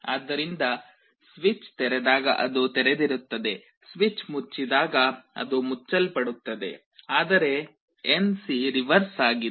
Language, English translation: Kannada, So, it is open when the switch is opened, it gets closed when the switch is closed, but NC is the reverse